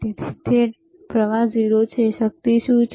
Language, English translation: Gujarati, So, it is current is 0, what is the power